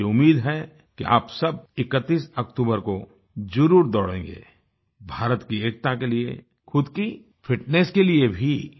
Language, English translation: Hindi, I hope you will all run on October 31st not only for the unity of India, but also for your physical fitness